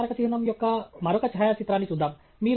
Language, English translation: Telugu, Let’s look at another photograph of the same monument